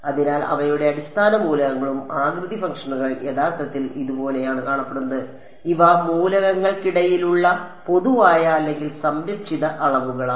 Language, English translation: Malayalam, So, their basis elements shape functions look like this actually, these are the common or conserved quantities between elements